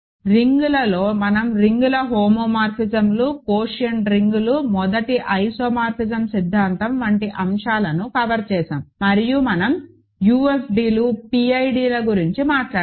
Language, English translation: Telugu, In rings we have covered topics like homomorphisms of rings, quotient rings, first isomorphism theorem and we talked about UFDs, PIDs